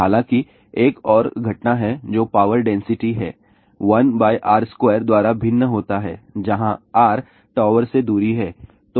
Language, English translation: Hindi, There is a another phenomenon which is power density varies by 1 by R square where R is distance from the tower